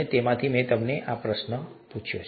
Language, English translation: Gujarati, And, so, I asked them this question